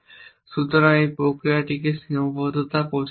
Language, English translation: Bengali, So, this process is called constraint propagation